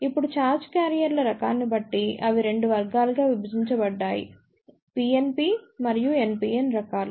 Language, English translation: Telugu, Now, depending upon the type of charge carriers, they are divided into 2 categories; PNP and NPN type